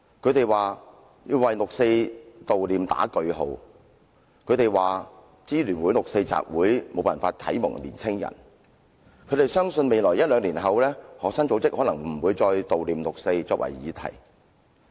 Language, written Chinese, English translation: Cantonese, 他們說要為悼念六四劃上句號，說香港市民支援愛國民主運動聯合會的六四集會無法啟蒙年青人，亦相信在未來一兩年之後，學生組織可能不會再以"悼念六四"為議題。, They have asserted that we need to put a stop to the commemoration of the 4 June incident saying that the 4 June assembly organized by the Hong Kong Alliance in Support of Patriotic Democratic Movements of China is unable to inspire young people . They also believe that after a couple of years student organizations will probably cease to regard the commemoration of the 4 June incident as an important issue